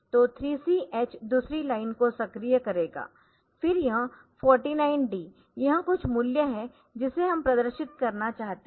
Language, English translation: Hindi, So, 3C x this will also activate the second line then this 49 D so this is some value that we want to display